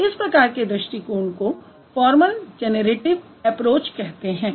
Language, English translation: Hindi, So, this approach is known as formal generative approach